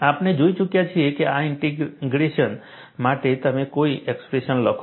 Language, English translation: Gujarati, We have already seen, what is the expression that you would write for this integration